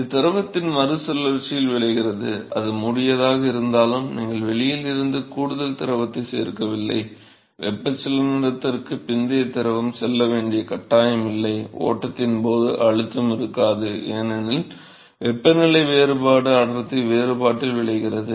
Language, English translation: Tamil, So, this results in a recirculation of the fluid although it is in the same enclosure, you are not adding extra fluid from outside there is no post convection the fluid is not forced to go there is no pressure during flow it simply, because of the temperature difference it results in the density difference